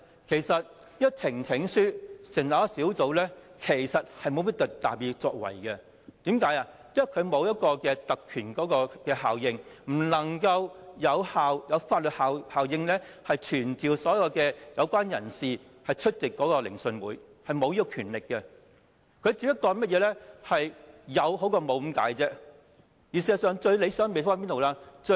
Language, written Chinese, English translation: Cantonese, 透過呈請書成立小組委員會其實沒有甚麼特別作為，因為它沒有特權效應，不能夠有法律效力傳召所有有關人士出席聆訊，是沒有這樣的權力的，只是有總比沒有的好而已。, When a subcommittee is formed through the presentation of a petition nothing can actually be done as it has no privilege power or legal power to summon all the people concerned to attend the hearings . It has no such a power and its formation is only better than having nothing